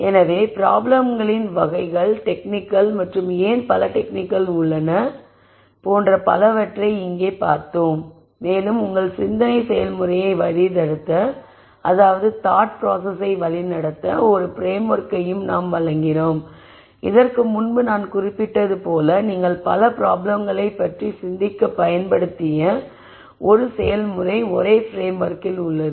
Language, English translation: Tamil, So, we looked at the types of problems, the techniques and why so many techniques and so on and we also provided a framework to guide your thought process and as I mentioned before this is a process that you can use to think about many different problems in a framework in the same way